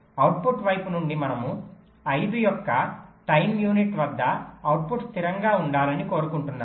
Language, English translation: Telugu, from the output side we are saying that, well, at time into of five, i want the output to be stable